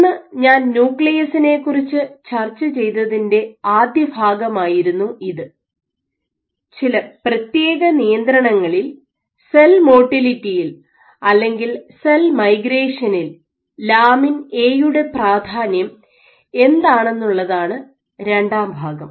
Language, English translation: Malayalam, Today so this was the first part of what I discussed in a nucleus, the second part was the importance of A in dictating cell motility or cell migration under confinement